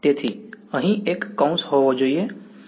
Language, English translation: Gujarati, So, there should be a bracket over here yeah